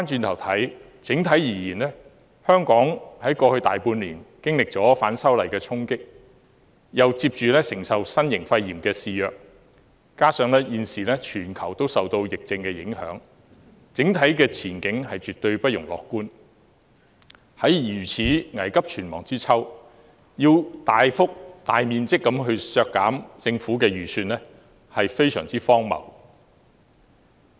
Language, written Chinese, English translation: Cantonese, 回顧香港在過去大半年經歷了反修例的衝擊，接着又承受新型肺炎的肆虐，加上現時全球也受疫症影響，整體前景絕對不容樂觀，在如此危急存亡之秋，要大幅度削減政府的預算開支是非常荒謬的。, Due to the impact brought about by the opposition to the proposed legislative amendments to Hong Kong over the past half year or so followed by the novel coronavirus epidemic which now affects the whole world the overall outlook remains grim . It is utterly ridiculous to substantially reduce the Governments estimated expenditure under such critical circumstances